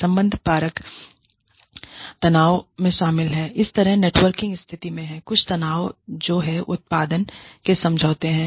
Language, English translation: Hindi, The relational tensions include, in this kind of a networking situation, some tensions that are, there are agreement of outputs